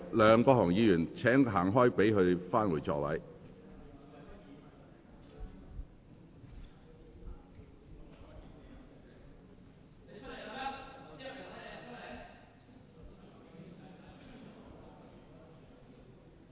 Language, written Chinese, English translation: Cantonese, 梁國雄議員，請你讓開，讓陳議員返回座位。, Mr LEUNG Kwok - hung please give way to Mr CHAN so that he can return to his seat